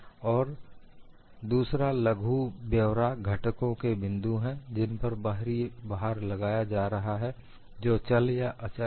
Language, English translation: Hindi, And another minor detail is the points of the component at which external loads are applied may or may not move